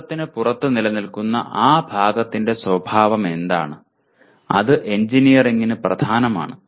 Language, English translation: Malayalam, And what is the nature of that thing that exists outside is science and that is important to engineering